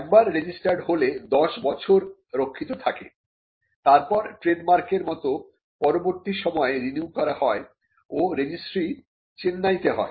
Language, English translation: Bengali, Once registered, the GI enjoys a 10 year protection and which can be renewed from time to time like trademarks, and the GI registry is in Chennai